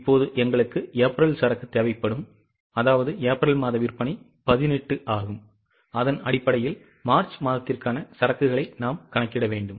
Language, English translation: Tamil, Now, we will need the inventory of April, I mean sale of April which is 18 based on that compute the inventory for March